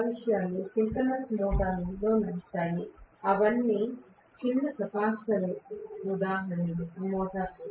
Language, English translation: Telugu, Those things are run with synchronous motors; those are all small capacitive motors right